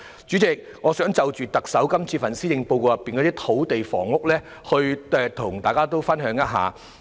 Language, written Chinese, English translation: Cantonese, 主席，我想就這份施政報告中的土地房屋政策，與大家分享我的看法。, President I would like to share with Members my thoughts on the land and housing policies in this Policy Address